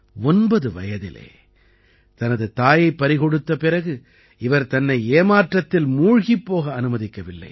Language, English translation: Tamil, Even after losing her mother at the age of 9, she did not let herself get discouraged